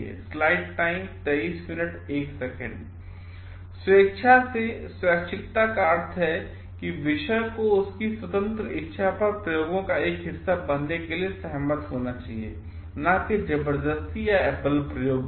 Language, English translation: Hindi, Voluntarily voluntariness means that the subject should agree to be a part of the experiments at their free will, not by coercion or a force